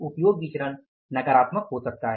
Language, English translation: Hindi, Usage variance may become negative